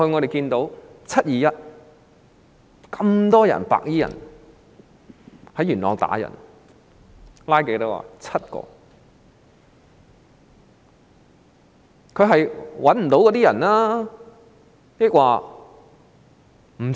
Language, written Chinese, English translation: Cantonese, 但是，在"七二一"事件中，多名白衣人在元朗打人，多少人被拘捕？, Yet how many white - clad people who assaulted members of the public in Yuen Long in the 21 July incident were arrested?